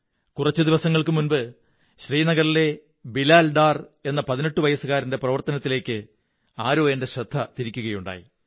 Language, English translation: Malayalam, Just a few days ago some one drew my attention towards Bilal Dar, a young man of 18 years from Srinagar